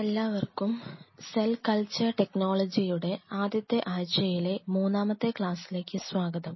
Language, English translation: Malayalam, Welcome back to the course on Cell Culture technology today we are into the 3rd class of the 1st week